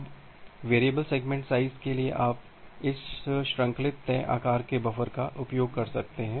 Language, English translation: Hindi, Now for variable segment size you can use this chained fixed size buffer